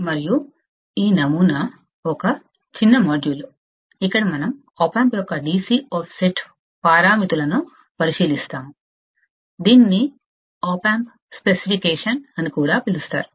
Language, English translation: Telugu, And this model is a short module, where we will look at the DC offset parameters of opamp; which is also called as the opamp specification